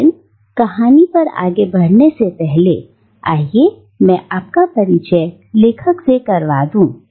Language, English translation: Hindi, But before we move on to the story let me introduce the author to you